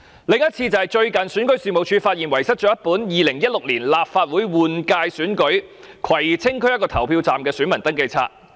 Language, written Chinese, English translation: Cantonese, 另一次則是最近選舉事務處發現遺失一本有關2016年立法會換屆選舉，葵青區內的一個投票站的選民登記冊。, Another instance was REOs recent discovery of the loss of a Register of Electors for the 2016 Legislative Council General Election at a polling station in Kwai Tsing District